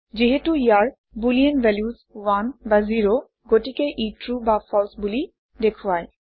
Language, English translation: Assamese, Since this holds Boolean values 1 or 0, it displays True or False